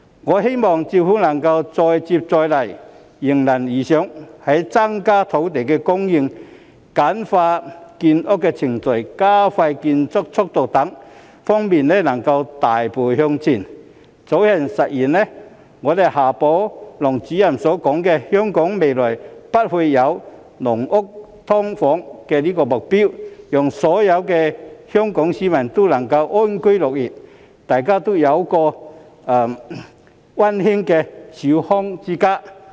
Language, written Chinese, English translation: Cantonese, 我希望政府能夠再接再厲，迎難而上，在增加土地供應、簡化建屋程序、加快建屋速度等方面能夠大步向前，以早日實現夏寶龍主任所說的香港未來不會再有"籠屋"、"劏房"的目標，讓所有的香港市民都能安居樂業，大家都有溫馨的小康之家。, I hope the Government can persist to overcome all challenges such that it can take big steps forward in respect of increasing land supply simplifying the procedure of housing construction expediting housing construction etc thereby realizing the goal mentioned by Director XIA Baolong ie . having no more caged homes and SDUs in the future Hong Kong with all citizens being able to live and work happily thus having a warm family of comfortable means for everyone